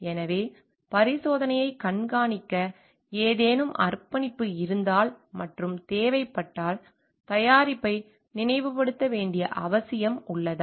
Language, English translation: Tamil, So, if there is any commitment to monitor the experiment and if necessary is there a need to recall the product